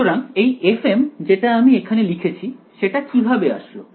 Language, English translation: Bengali, So, this f m that I wrote over here how did it actually come